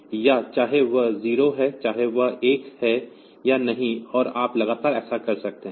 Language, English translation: Hindi, So, whether it is 0 whether it is 1 or not, and you can continually do that